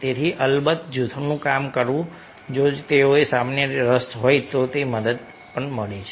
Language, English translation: Gujarati, so working in a group of course helps, provided if they have a common interest